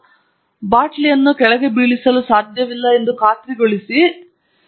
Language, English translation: Kannada, So, that ensures that the bottle cannot be topple down